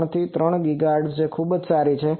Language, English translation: Gujarati, 3 to 3 GHz, quite good